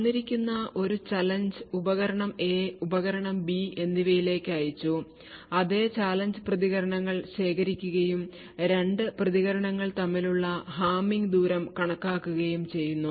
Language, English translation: Malayalam, For a given challenge, the same challenge sent to the device A and in other device B, the responses are connected and the hamming distance between the 2 responses is computed